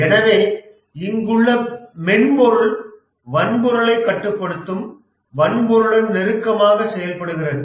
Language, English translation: Tamil, Therefore, the software here works closely with the hardware